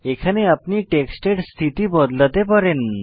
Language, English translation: Bengali, Here you can change Orientation of the text